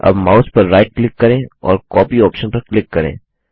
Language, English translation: Hindi, Now right click on the mouse and click on the Copy option